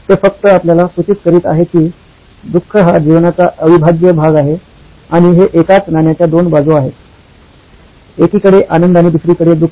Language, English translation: Marathi, He was merely suggesting you to be aware that suffering is part and parcel and it is two sides of the same coin; happiness on one side and suffering on the other